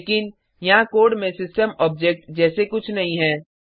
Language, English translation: Hindi, But there is nothing like system object in the code